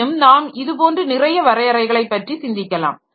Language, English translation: Tamil, However, we can think of several definitions like this